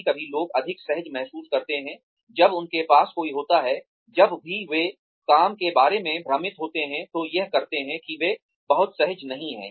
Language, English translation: Hindi, Sometimes people feel more comfortable, when they have somebody to go to whenever they are confused about doing a piece of work, that they are not very comfortable doing